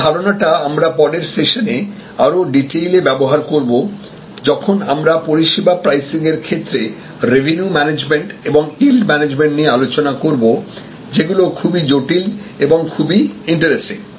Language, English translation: Bengali, And this concept, we will utilize in more detail in the next session, when we discuss about revenue management and yield management to particular areas in services pricing, which are quite intricate and quite interesting